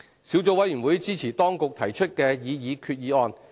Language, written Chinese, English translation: Cantonese, 小組委員會支持當局提出的擬議決議案。, The Subcommittee supports the proposed resolution moved by the Administration